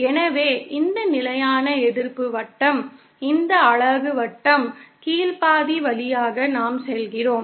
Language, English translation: Tamil, So, we are moving along this constant resistance circle, this unit circle, along the lower half